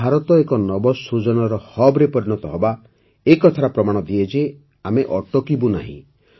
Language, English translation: Odia, India, becoming an Innovation Hub is a symbol of the fact that we are not going to stop